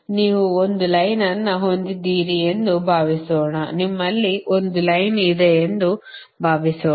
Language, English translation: Kannada, suppose you have a line, suppose you have a, you have a line, you have a